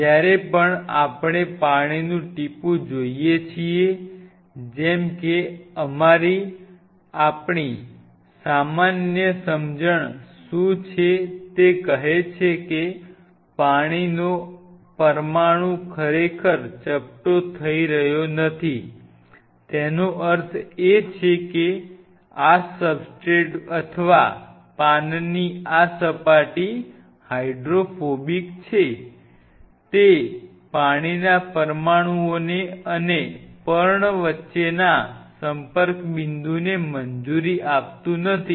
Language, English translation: Gujarati, Whenever we see a water droplet like what is our common sense it says that the water molecule is not really flattening out it means this substrate or this surface of the leaf is hydrophobic right, it does not allow the water molecules the contact point between the water molecule and the leaf is very or minimum